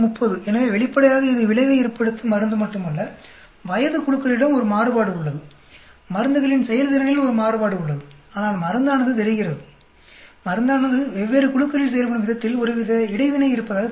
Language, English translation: Tamil, So obviously, it is not only drug has an effect onů there is a variation in the age group, there is a variation in the performances drug, but there seems to be some sort of an interaction the way drug acts on different groups